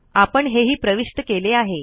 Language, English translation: Marathi, We entered that also